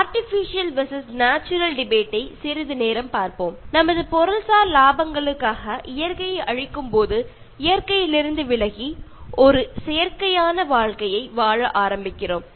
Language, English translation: Tamil, Let us for a while look at the Artificial versus Natural debate: As we destroy nature for our materialistic gains, we move away from nature and start living an artificial life